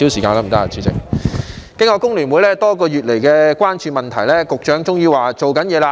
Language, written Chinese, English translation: Cantonese, 經過工聯會多個月來關注問題，局長終於說正在做事。, After months of attention paid by the FTU to the problems concerned the Secretary has finally said that he is working on the issue